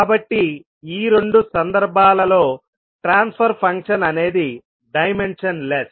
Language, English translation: Telugu, So, for these two cases the transfer function will be dimensionless